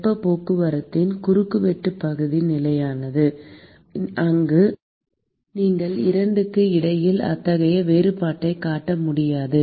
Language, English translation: Tamil, The cross sectional area of heat transport is constant, where you would not be able to make such a distinction between the 2